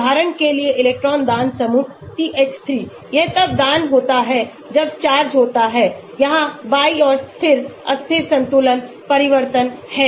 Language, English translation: Hindi, Electron donating group CH3 for example, it is donating then what happens charge is destabilized equilibrium shifts to the left here